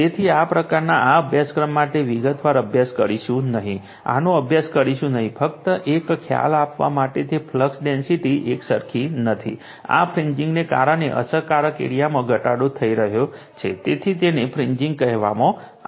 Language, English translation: Gujarati, So, this type of although we will not study in detail for this course, we will not study this, just to give an idea that flux density is not uniform right, an effective air because of this fringe effective your area is getting decrease right, so, this is called fringing